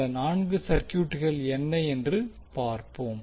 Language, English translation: Tamil, Let us see what are those four circuits